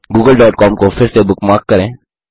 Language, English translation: Hindi, Lets bookmark Google.com again